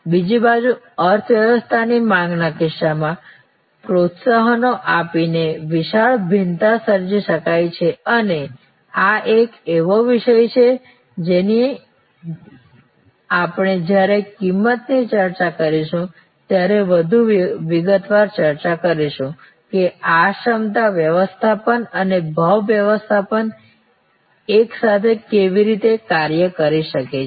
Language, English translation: Gujarati, On the other hand, in case of the economy demand a huge variation can be created by providing incentives and this is a topic which we will discuss in greater detail when we discuss a pricing that how these capacity management and price management can work together